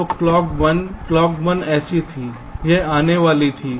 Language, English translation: Hindi, clock one was like this, it was coming